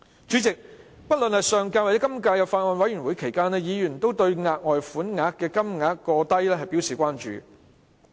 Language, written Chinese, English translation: Cantonese, 主席，不論在上屆或今屆立法會法案委員會審議期間，委員均對額外款項過低表示關注。, President during the scrutiny of the Bills Committee of the last or current Legislative Council members have expressed concern about the amount of further sum being too low